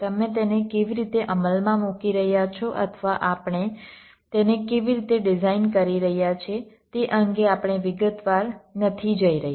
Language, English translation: Gujarati, we are not going into detail as to how you are implementing it or how you are designing it